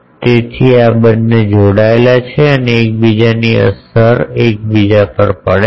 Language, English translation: Gujarati, So, these two are coupled and one effects the other